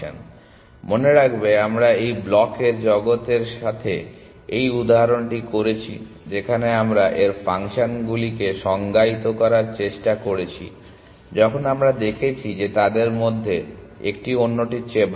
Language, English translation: Bengali, So, remember we did this example with this blocks world where we tried to define its functions when we saw that one of them was better than the other